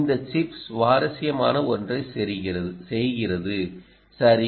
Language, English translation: Tamil, ah, this chip, ah also does something interesting, right